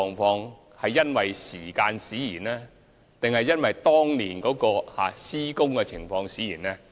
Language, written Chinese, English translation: Cantonese, 是因為時間使然，還是當年的施工使然？, Is it due to the passage of time or due to the inferior works quality back then?